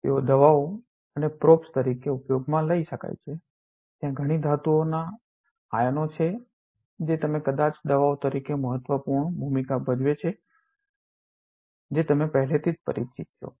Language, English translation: Gujarati, They can be used as drugs as well as probes there are many metal ions that you are perhaps already familiar with playing a important role as drugs